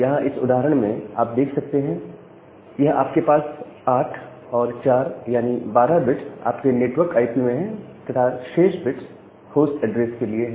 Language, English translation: Hindi, So, here in this particular example your this many number of first 8 plus 4 that 12 bits are your network IP, and the remaining bits are for the host address